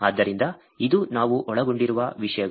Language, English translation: Kannada, So, this is the topics that we covered